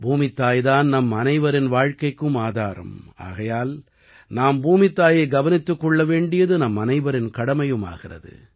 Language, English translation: Tamil, Mother Earth is the very basis of the lives of all of us… so it is our duty to take care of Mother Earth as well